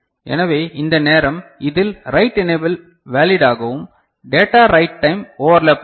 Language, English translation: Tamil, So, this is the time in which write enable need to remain valid and data write time overlap